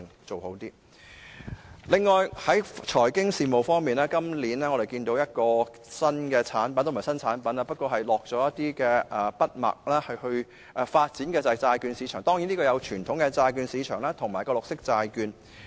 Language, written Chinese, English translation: Cantonese, 此外，在財經事務方面，預算案提到一個新產品——也不是新產品了，只是進一步發展——就是債券市場，包括傳統的債券市場及綠色債券。, Moreover as regards financial services the Budget introduces a new product―not exactly a new product but the further development of it―that is the bond market including the traditional bond market and green bonds